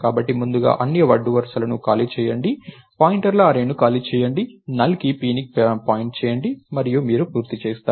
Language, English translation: Telugu, So, first free all the rows, free the array of pointers, make p point to the NULL and you are done